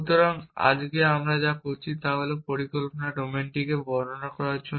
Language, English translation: Bengali, So, this all we have done today is to describe the planning domains were to speak